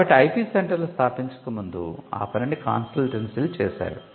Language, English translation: Telugu, So, this even before the IP centre came into the picture was done through consultancy